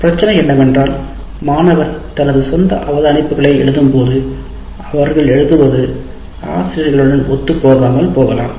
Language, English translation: Tamil, And the problem is, while you are writing your own observations, you may go out of sync with what is being presented by the teacher